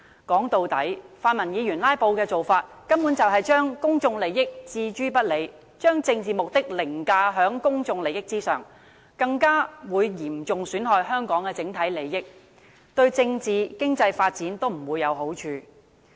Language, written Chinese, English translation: Cantonese, 說到底，泛民議員"拉布"的做法，根本是將公眾利益置諸不理，將政治目的凌駕於公眾利益之上，更會嚴重損害香港的整體利益，對政治和經濟發展也不會有好處。, In the final analysis when pan - democratic Members filibuster they basically ignore public interests and put political ends before public interests thereby seriously affecting Hong Kongs overall interests as well as its political and economic development